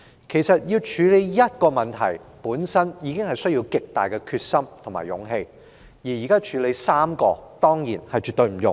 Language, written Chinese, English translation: Cantonese, 事實上，要處理一個問題，本身已需極大的決心和勇氣，如今要處理3個問題，當然絕不容易。, In fact it requires great resolve and courage to deal with any one of these problems . Hence it is absolutely no easy task to address all the three problems now